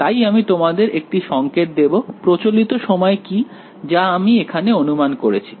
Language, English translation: Bengali, So, let me give you a hint, what is the time convention I have assumed throughout this thing